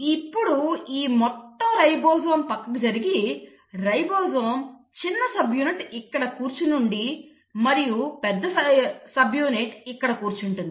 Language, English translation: Telugu, Now this entire ribosome shifts and what happens is now the ribosome small subunit is sitting here, and the large subunit is sitting here